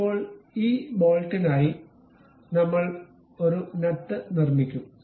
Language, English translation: Malayalam, Now, we will construct a nut for this bolt